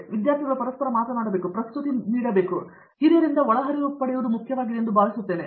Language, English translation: Kannada, So, I think it’s important that the students talk to each other, give presentations to each other, get inputs from the peer the seniors